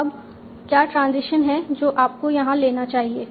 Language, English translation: Hindi, Now what is the transition that you must be taking here